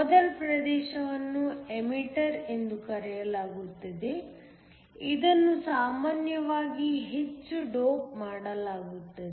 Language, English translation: Kannada, The first region is called the Emitter, it is usually heavily doped